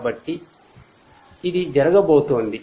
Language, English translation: Telugu, So, this is what is going to happen